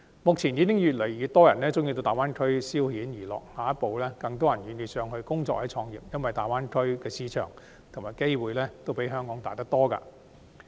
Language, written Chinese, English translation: Cantonese, 目前已有越來越多人喜歡到大灣區消遣娛樂，下一步將有更多人願意到該處工作或創業，因為大灣區的市場和機會均較香港大得多。, Now more and more people prefer going to the Greater Bay Area for leisure and entertainment . Next more people will be willing to work or set up businesses there because the Greater Bay Area offers a much bigger market and way more opportunities than Hong Kong